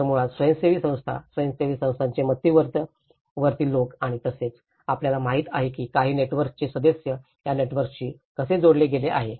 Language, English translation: Marathi, So basically the NGOs, how the central persons of the NGOs and as well as you know, some community members how they are also linked with these networks